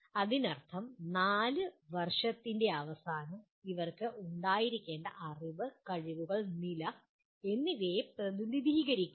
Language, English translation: Malayalam, That means just at the end of 4 years these represent what is the knowledge, skills and attitudes they should have